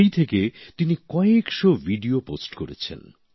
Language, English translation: Bengali, Since then, he has posted hundreds of videos